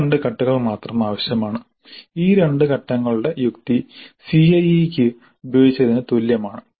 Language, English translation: Malayalam, So these two steps only are required and the rational for these two steps is the same as the one used for CIE